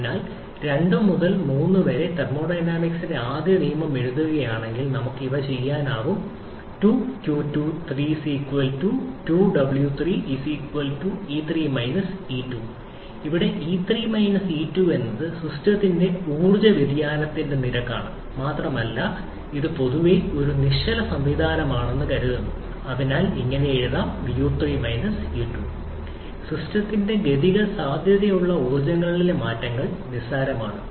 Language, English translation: Malayalam, So, for 2 to 3 if we write the first law of thermodynamics, then we can have q2 to 3 w2 to 3=rate of change of energy of the system that is e3 e2 and as we are assuming generally assuming this one to be a stationary system, so this one can be written as u3 u2 as the changes in kinetic and potential energies of the system is negligible